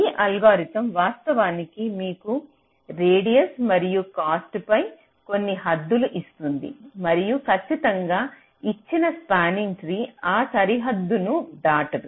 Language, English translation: Telugu, so this algorithm actually gives you some bounds on radius and cost and it guarantees a spanning tree which will not cross that bound